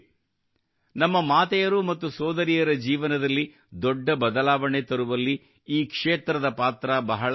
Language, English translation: Kannada, It has played a very important role in bringing a big change in the lives of our mothers and sisters